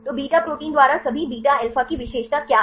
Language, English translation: Hindi, So, what is the specialty of the all beta alpha by beta proteins